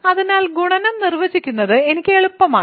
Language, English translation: Malayalam, So, it is easy for me to define the multiplication